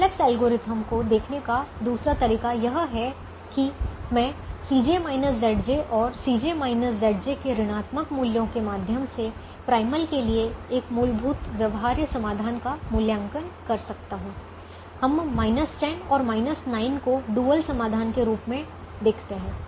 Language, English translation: Hindi, the other way of looking at the simplex algorithm is: i evaluate a basics feasible solution to the primal through the c j minus z j and the negative values of the c j minus z j